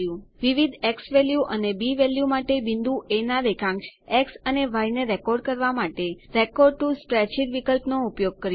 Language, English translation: Gujarati, used the Record to Spreadsheet option to record the x and y coordinates of point A, for different xValue and b values